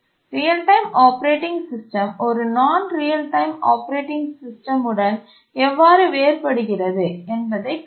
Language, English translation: Tamil, We saw how real time operating system differs from a non real time operating system